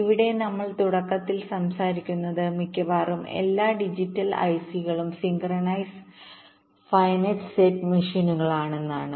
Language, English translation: Malayalam, ok here, what we talk about at the beginning is that we say that almost all digital i c's are synchronous finite set machines